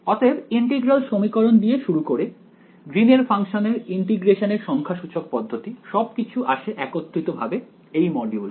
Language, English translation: Bengali, So, starting with integral equations, Green’s functions numerical techniques of integration, everything comes together in this module alright